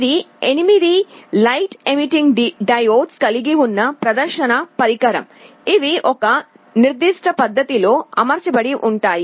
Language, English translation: Telugu, It is a display device that consists of 8 light emitting diodes, which are arranged in a particular fashion